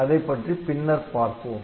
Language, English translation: Tamil, So, we will see those later